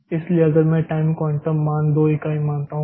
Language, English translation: Hindi, So, if I assume that my time quantum value is 2 units